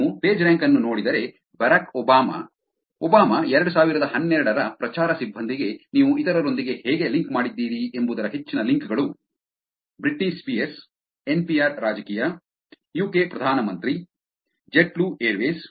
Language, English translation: Kannada, If you look at the pagerank which is, higher the links of how you are linked to others also this Barack Obama, Obama 2012 campaign staff; Britney Spears; NPR politics; UK prime minister; JetBlue Airways